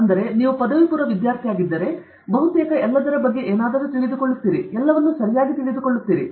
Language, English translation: Kannada, So, if you are an undergraduate student, you almost you get to know something about everything, but you get to know little about everything okay